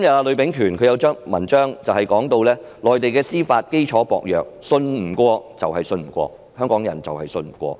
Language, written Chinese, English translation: Cantonese, 呂秉權今天發表的一篇文章提到內地司法基礎薄弱，信不過就是信不過，而香港人就是信不過它。, An article published by Bruce LUI today mentioned the fragility of the judicial foundation on the Mainland . It is not trustworthy no matter what and Hongkongers simply do not trust it